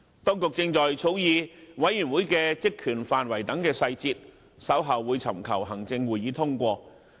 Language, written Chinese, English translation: Cantonese, 當局正在草擬調查委員會的職權範圍等細節，並於稍後尋求行政會議通過。, Details such as the terms of reference are being drafted by the Administration and will be submitted to the Executive Council for approval later